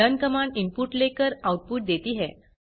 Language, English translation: Hindi, learn Command can takes input and returns output